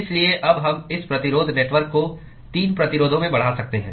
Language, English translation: Hindi, So, now, therefore, we can now extend this resistance network into 3 resistances